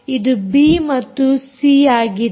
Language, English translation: Kannada, this is a and this is b and this is c, this is a